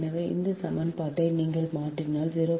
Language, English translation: Tamil, so now we will simplify this equation